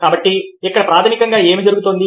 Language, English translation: Telugu, what is basically happening